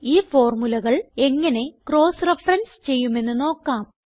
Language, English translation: Malayalam, Let us now see how we can cross reference these formulae